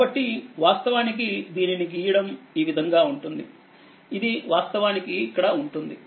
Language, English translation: Telugu, So, actually drawing this drawing is little bit like this, it will be actually here right